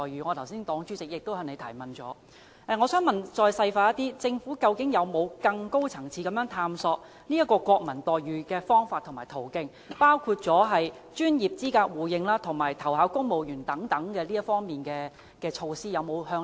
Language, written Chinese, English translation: Cantonese, 我的黨主席剛才曾就此提問，我想再細問，政府究竟有否在更高層次探索爭取國民待遇的方法和途徑，包括專業資格互認及投考公務員等方面的措施？, Just now the Chairperson of my party enquired about this and I would like to ask in further detail . Has the Government actually explored ways and means of striving for national treatment at a higher level including such measures as mutual recognition of professional qualifications and applications for civil service posts?